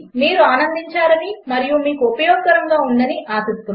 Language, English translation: Telugu, Hope you have enjoyed and found it useful.THanks